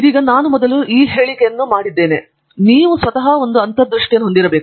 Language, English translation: Kannada, Now, as I think I have made this remark earlier as well, that you need to have an intuition